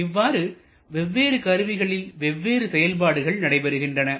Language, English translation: Tamil, This way different component or different operation takes place in different components